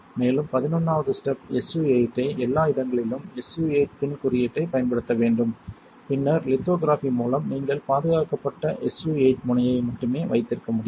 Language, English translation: Tamil, And the 11 step would be use pin code everywhere SU 8 and then do lithography such that you can only have SU 8 tip which is protected